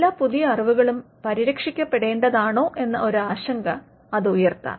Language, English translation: Malayalam, Now, that may raise a concern that should all new knowledge be protected